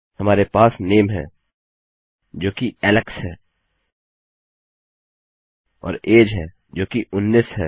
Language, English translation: Hindi, We have got name and that is equal to Alex and weve got an age which is equal to 19